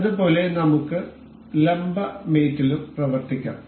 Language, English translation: Malayalam, Similarly, we can work on the perpendicular mate as well